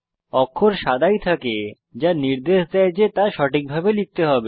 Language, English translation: Bengali, The characters remain white indicating that you need to type it correctly